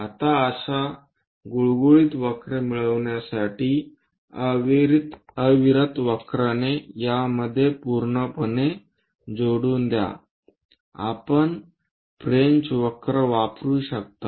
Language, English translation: Marathi, Now join this entirely by a continuous curve to get a smooth curve we can use French curves